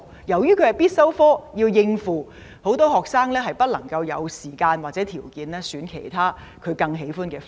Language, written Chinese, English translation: Cantonese, 由於通識是必修科，為了應付這科目，很多學生沒有時間或條件選讀其他他們更喜歡的學科。, In order to tackle this compulsory subject many students cannot spare the time or afford to take other subjects which they like more